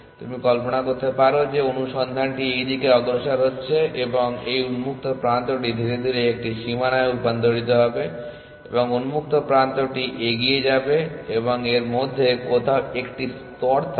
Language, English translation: Bengali, So, you can imagine the search you know progressing in this direction and this open will slowly get converted into a boundary and the new open will move forward and also 1 layer somewhere in between